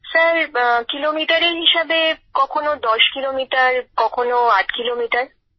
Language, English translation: Bengali, Sir in terms of kilometres 10 kilometres; at times 8